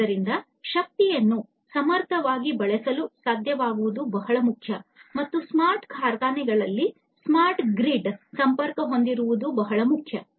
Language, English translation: Kannada, So, being able to efficiently use the energy is very important and smart grid is having smart grids connected to the smart factories is very important